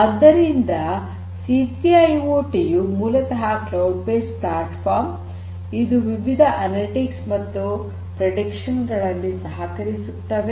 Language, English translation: Kannada, So, C3 IoT basically offers some kind of a platform that can help in different analytics and prediction and it is cloud based